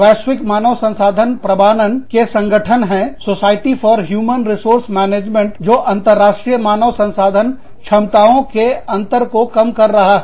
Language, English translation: Hindi, There is a global HR certification organization, the society for human resource management, narrowing international HR competency gap